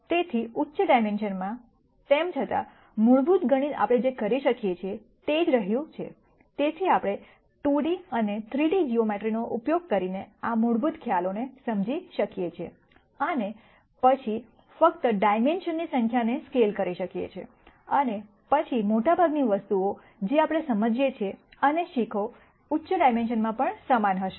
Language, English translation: Gujarati, So, in higher dimensions, nonetheless since the fundamental mathematics remain the same what we can do is, we can understand these basic concepts using 2 D and 3 D geometry and then simply scale the number of dimensions, and then most of the things that we understand and learn will be the same at higher dimensions also